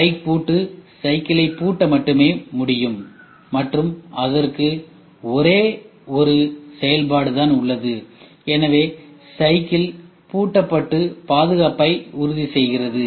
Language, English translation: Tamil, Bike lock can only lock and it has only one functions so it can lock and the safety is taken care